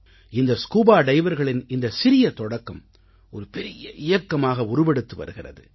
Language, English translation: Tamil, This small beginning by the divers is being transformed into a big mission